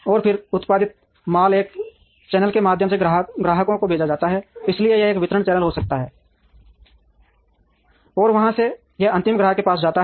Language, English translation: Hindi, And then the produced goods are sent to customers through a channel, so it could be a distribution channel and from there it goes to the final customer